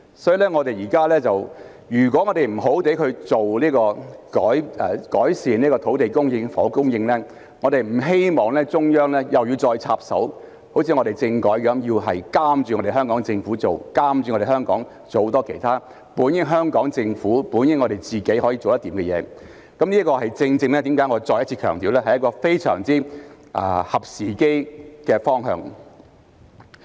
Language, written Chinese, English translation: Cantonese, 所以，我們必須好好改善土地供應及房屋供應，我們不希望中央又要再插手，像在政改方面，要監督香港政府做事，監督着香港做很多其他本應是香港政府及我們自己可以做得來的事情，這正正是為何我要再次強調，這是一個非常合時機的方向。, Therefore we must properly improve land supply and housing supply . It is not our wish to see the Central Authorities having to intervene again just as they did in respect of the constitutional reform in order to supervise the Hong Kong Government in carrying out its duties and supervise Hong Kong in doing many things that the Hong Kong Government and we ourselves should have the ability to handle . This is exactly why I have to emphasize once again that this is a most timely direction